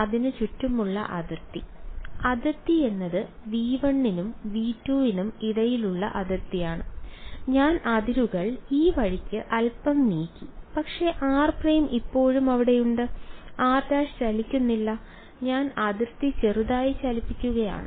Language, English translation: Malayalam, The boundary around it; the boundary is the boundary between V 1 and V 2 and I have I have pushed the boundary little bit this way, but r prime is still there; r prime is not moving I am moving the boundary a little bit